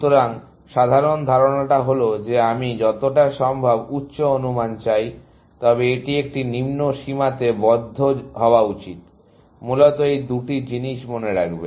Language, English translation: Bengali, So, the general idea is that I want as high an estimate as possible, but it is should be a lower bound, essentially; these two things, remember